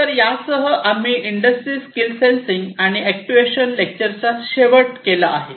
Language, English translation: Marathi, So, with this we come to an end of industry skill sensing and actuation lecture